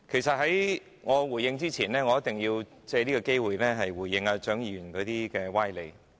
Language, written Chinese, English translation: Cantonese, 在我就此發言前，我一定要藉此機會回應蔣議員的歪理。, Before I speak on this I must take this opportunity to respond to the sophistry of Dr CHIANG